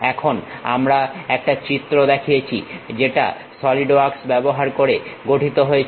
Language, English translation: Bengali, Here we are showing a picture constructed using Solidworks